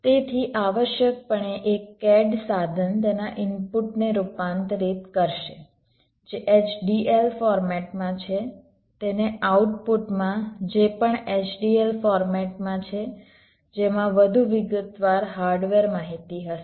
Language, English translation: Gujarati, so, essentially, ah cad tool will transform its input, which is in a h d l format, into an output which is also in a h d l format, which will contain more detailed hardware information